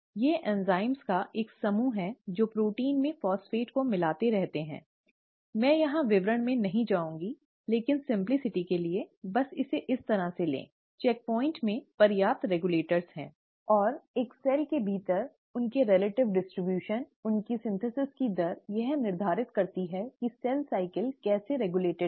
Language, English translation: Hindi, These are a group of enzymes which keep adding phosphate to proteins, I will not get into details here, but for simplicity, just take it like this, the checkpoints has sufficient regulators in place, and their relative distribution within a cell, their rate of synthesis determines how a cell cycle is regulated